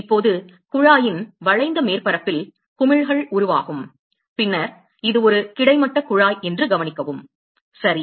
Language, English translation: Tamil, Now, the bubbles will form along the curved surface of the tube, and then note that this is a horizontal tube right